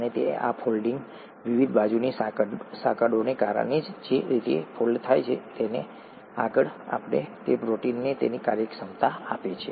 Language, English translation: Gujarati, And this folding, the way it folds because of the various side chains and so on so forth, is what gives protein its functionality